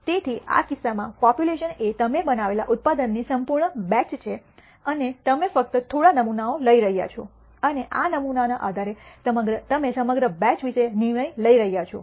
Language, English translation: Gujarati, So, the population in this case is the entire batch of product that you are making and you are taking only a few samples and based on these samples you are making a judgment about the entire batch